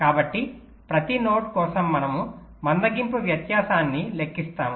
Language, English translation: Telugu, so for every node, we calculate the slack, the difference